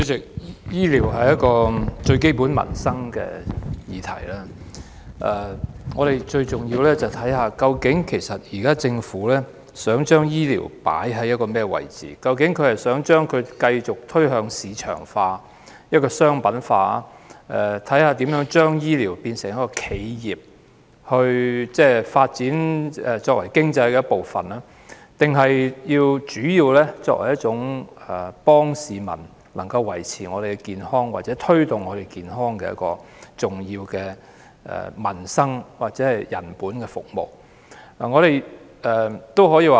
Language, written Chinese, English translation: Cantonese, 主席，醫療是最基本的民生議題，而我們最重要去看的，就是政府究竟想把醫療放在甚麼位置，究竟是想把它繼續推向市場化、商品化，看看如何把醫療變為企業，作為經濟發展的一部分，抑或是想把它主要作為協助市民維持及推動健康的重要民生、人本服務。, President healthcare is the most fundamental livelihood issue and it is most important for us to find out the position in which the Government wants to place healthcare . Does it want to continue marketization and commercialization of healthcare to see how healthcare can be turned into an enterprise and a part of economic development or does it want to treat healthcare as the provision of important livelihood and people - oriented services to help maintain and promote public health?